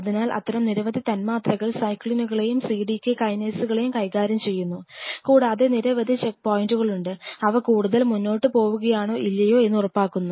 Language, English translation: Malayalam, So, there are several such molecules which are dealing with its cyclins and cdk kinases and there are several check points, which ensures whether they are going to go further or not